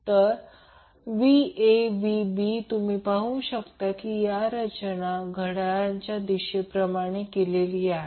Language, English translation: Marathi, So, Va Vb Vc you will see will be arranged in such a way that it is counterclockwise